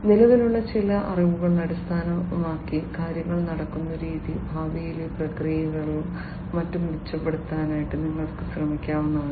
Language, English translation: Malayalam, The way things are happening based on certain existing knowledge you can try to improve upon the processes in the future and so on